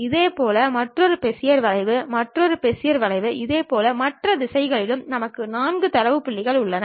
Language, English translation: Tamil, Similarly, another Bezier curve, another Bezier curve similarly on the other directions we have 4 data points